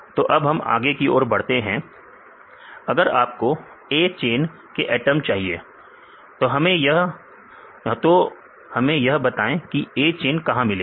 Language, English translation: Hindi, So, now we go to the another step; so if you want to get the atoms of A chain; where we get the A chain